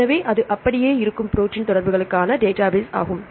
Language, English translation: Tamil, So, this the database for the protein interactions that intact